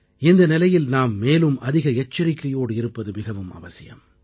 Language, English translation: Tamil, In such a scenario, we need to be even more alert and careful